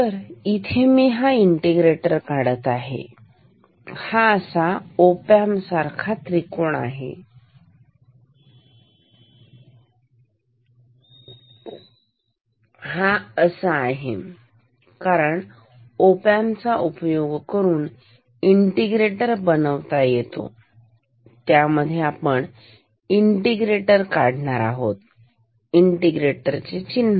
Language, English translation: Marathi, So, I integrator we will draw it like this, like op amp triangle, this is because the integrators can be made with the op amps, inside that we will put the integrators, integration sign, this is the input, this is the output